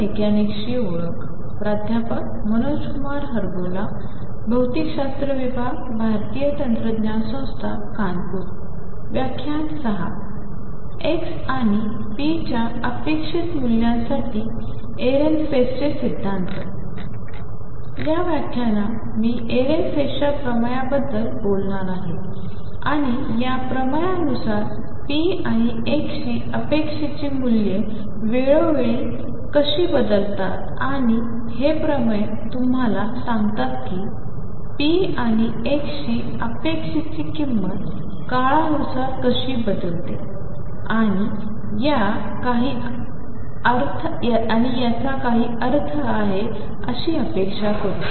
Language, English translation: Marathi, In this lecture, I am going to talk about Ehrenfest’s theorems, and they kind of tell you how the expectation values of p and x change with time, and these theorems tell you how expectation value of p and x change with time and they gave it some meaning which we have been sort of anticipating